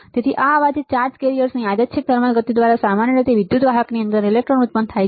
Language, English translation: Gujarati, So, this noise is generated by random thermal motion of charge carriers usually electrons inside an electrical conductor